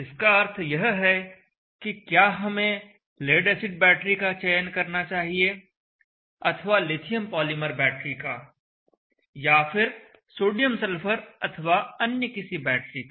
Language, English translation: Hindi, Is that do we need to select a lead acid battery or should we select lithium polymer battery or sodium sulphur battery extra